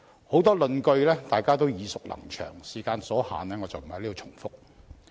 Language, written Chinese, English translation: Cantonese, 很多論據大家也耳熟能詳，時間所限，我便不在此重複。, Since many of the arguments mentioned are familiar to Members I will not repeat them in view of the time constraint